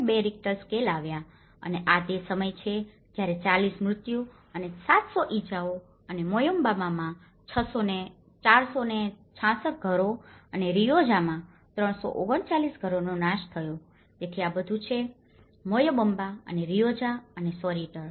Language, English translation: Gujarati, 2 Richter scale have occurred and this is when 40 deaths and 700 injuries and the destruction of 466 homes in Moyobamba and 339 in Rioja affecting so this is all, the Moyobamba and Rioja and Soritor